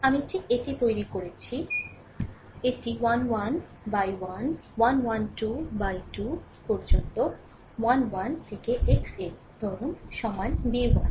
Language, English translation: Bengali, I am just making it like this, it is a 1 1, x 1, a 1 2, x 2 up to a 1, x n is equal to say b 1